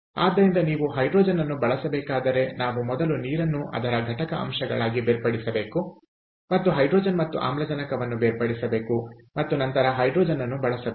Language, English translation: Kannada, so therefore, if you, in order to use hydrogen, we have to first break down water into its constituent elements and this so and and separate out hydrogen and oxygen and then use the hydrogen, ok